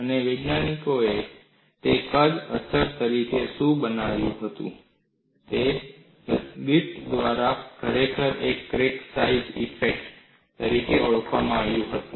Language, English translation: Gujarati, And what scientists were coining it as size effect, was identified by Griffith as indeed a crack size effect